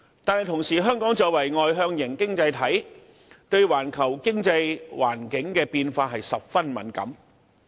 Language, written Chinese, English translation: Cantonese, 但是，香港作為外向型經濟體，對環球經濟環境的變化十分敏感。, However being an export - oriented economy Hong Kong is very sensitive to changes in the global economic environment